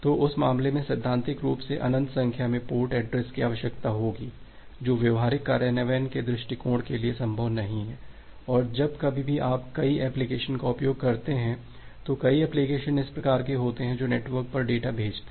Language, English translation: Hindi, So, in that case theoretically will be requiring infinite number of port addresses which is not feasible for the practical implementation point of view, and whenever also your utilizing multiple application so, there are multiple applications which are kind to send data over the network